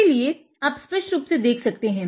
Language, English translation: Hindi, So, you can clearly see it